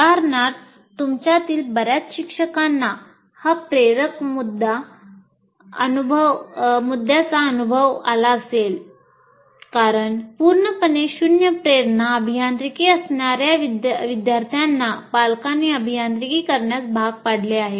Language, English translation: Marathi, Now, for example, this motivation issue many of you teachers would have experienced because students with absolutely zero motivation engineering are pushed by the parents to do engineering